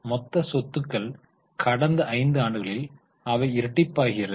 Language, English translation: Tamil, Total assets, they are nearly doubled over a period of five years